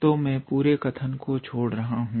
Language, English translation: Hindi, So, I am avoiding the whole statement